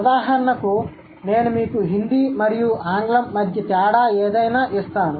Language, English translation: Telugu, For example, I'll give you a difference between Hindi and English